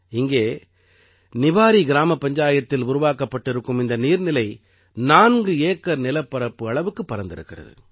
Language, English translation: Tamil, This lake, built in the Niwari Gram Panchayat, is spread over 4 acres